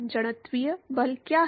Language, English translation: Hindi, What is the inertial force